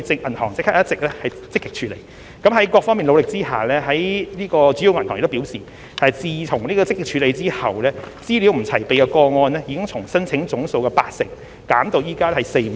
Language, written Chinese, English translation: Cantonese, 銀行已就這方面積極處理，而在各方努力下，銀行表示自問題獲積極處理後，資料不齊備的個案已從申請總數的八成減至現時只有約四五成。, The banks have actively addressed this issue and under the joint efforts of different parties the banks indicated that the percentage of applications with insufficient information had dropped from 80 % to only 40 % - 50 % of the total number after vigorous efforts had been made